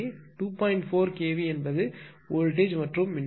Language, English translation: Tamil, 4 kv is the voltage and current is two hundred ampere